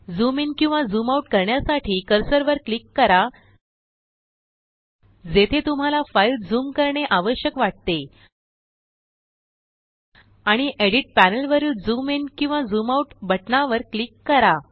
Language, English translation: Marathi, To zoom into or out of a file click the cursor where you need to zoom on the file and click the zoom in or zoom out button on the Edit panel